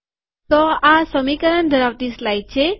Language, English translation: Gujarati, So this is the equation containing slide